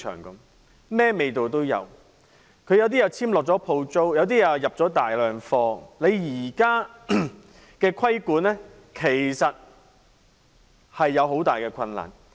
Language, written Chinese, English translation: Cantonese, 一些零售商已簽下租約、另一些購入了大量貨品，你現時要進行規管，其實面對很大困難。, Some retailers have already signed tenancy agreements and some have stocked up a lot . In fact it is very difficult to impose regulation at this point